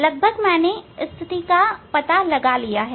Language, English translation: Hindi, more or less I found the position